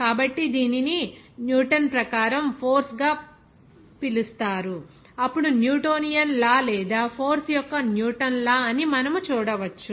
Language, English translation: Telugu, So, it will be called as force as per Newton, then Newtonian law or you can see that as far Newton's law of force